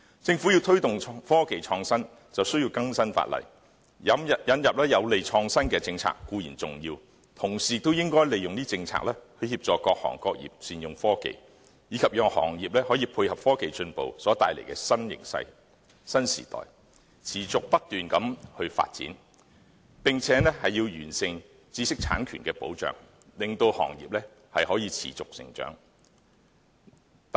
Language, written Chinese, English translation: Cantonese, 政府要推動科技創新便需要更新法例，引入有利創新的政策固然重要，同時也應該利用政策協助各行各業善用科技，以及讓行業配合科技進步所帶來的新形勢和新時代，持續不斷地發展，並且要完善知識產權的保障，令行業可以持續成長。, To promote innovation and technology the Government needs to update existing legislation . Apart from introducing policies conducive to innovation it is also important for the Government to implement policies to assist various industries in making good use of technology so that they can pursue sustained development alongside with the new trend and new era brought forth by technological advancement . The Government should also improve intellectual property protection for the sustainable growth of the industry